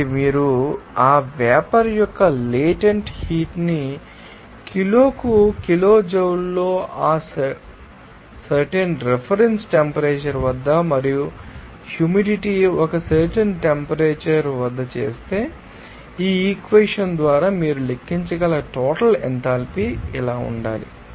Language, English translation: Telugu, So, it will be here So, once you do that a latent heat of that vapour in kilojoule per kg at that particular reference temperature and the humidity then at a particular temperature, what should be the total enthalpy you can calculate by this equation